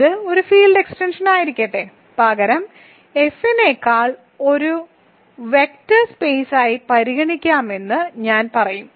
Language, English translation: Malayalam, Let this be a field extension, we think of rather I will say we can consider K as a vector space over F